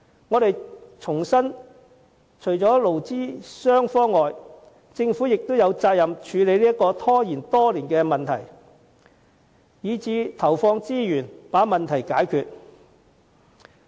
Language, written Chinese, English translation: Cantonese, 我們重申，除了勞資雙方外，政府亦有責任處理這個拖延多年的問題，甚至投放資源把問題解決。, We reiterate that besides employees and employers the Government is also responsible to tackle this problem which has been delayed for years and it should put in resources to solve this problem